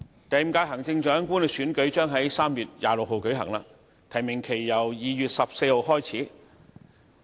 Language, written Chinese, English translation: Cantonese, 第五屆行政長官選舉將於3月26日舉行，提名期由2月14日開始。, The Fifth Term Chief Executive Election will be held on 26 March and the nomination period will begin on 14 February